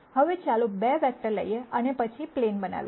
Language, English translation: Gujarati, Now, let us take 2 vectors and then make a plane